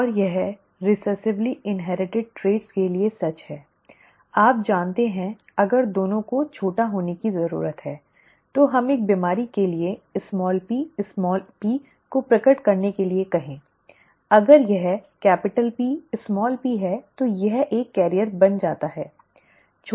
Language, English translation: Hindi, And this is true for recessively inherited traits, you know, if both need to be small, let us say small p small p for a decease to manifest, then if it is capital P small P then this becomes a carrier, right